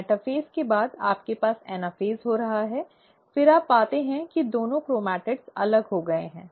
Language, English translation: Hindi, After the metaphase, you have the anaphase taking place, then you find that the two chromatids have separated